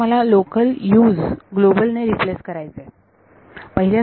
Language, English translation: Marathi, Now I want to replace the local Us by global